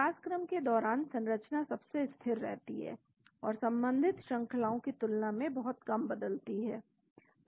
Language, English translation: Hindi, During evolution, the structure is most stable and changes much lower than the associated sequences